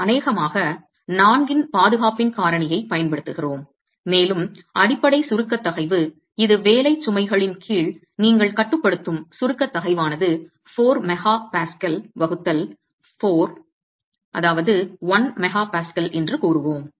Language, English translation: Tamil, We will probably use a factor of safety of 4 and say that the basic compressive stress which is your limiting compressive stress under working loads is 4 mp